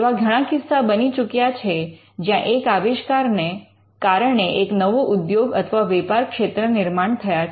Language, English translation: Gujarati, And there has been certain cases where, it has been inventions have been related to the creation of a new industry or a market